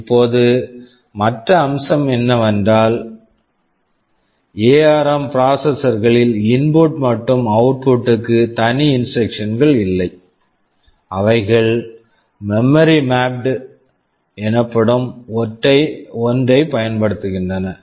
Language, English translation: Tamil, Now another feature is that I would like to say is that ARM processors does not have any separate instructions for input/ output, they use something called memory mapped IO